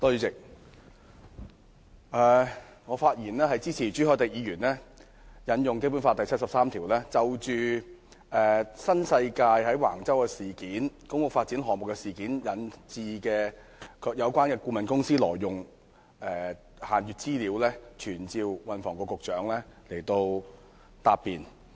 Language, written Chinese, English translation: Cantonese, 主席，我發言支持朱凱廸議員引用《基本法》第七十三條，就新世界有關顧問公司涉嫌在橫洲的公屋發展項目中挪用限閱資料一事，傳召運輸及房屋局局長到立法會答辯。, President I rise to speak in support of Mr CHU Hoi - dicks motion on invoking Article 73 of the Basic Law to summon the Secretary for Transport and Housing to come to the Legislative Council to answer questions in respect of the alleged illegal use of restricted information by the relevant consultancy of the New World Development Company Limited NWD in the public housing development project at Wang Chau